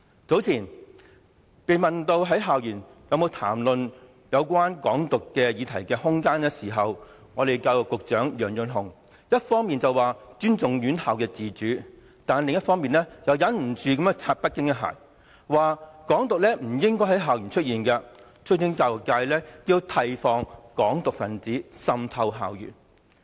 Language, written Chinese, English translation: Cantonese, 早前，當被問及在校園談論有關"港獨"議題的空間時，教育局局長楊潤雄一方面表示尊重院校自主，但另一方面又按捺不住向北京拍馬屁，說"港獨"不應在校園出現，促請教育界要提防"港獨"分子滲透校園。, Not long ago when asked about the room for discussion on topics related to Hong Kong independence on school campuses Secretary for Education Kevin YEUNG on one hand said he respects the autonomy of schools but on the other he could not contain his desire to kowtow to Beijing by saying that Hong Kong independence should not emerge on school campuses and urging the education sector to be on guard against the infiltration by activists of Hong Kong independence into school campuses